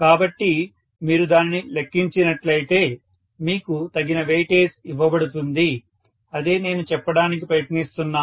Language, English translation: Telugu, So, either way if you calculate it, you should be given due weightage, that is all I am trying to say